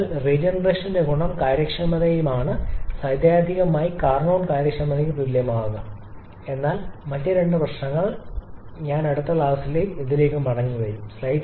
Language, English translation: Malayalam, So, the advantage of having regeneration is efficiency can theoretically be equal to the Carnot efficiency but other two problems I will come back to this again in the next class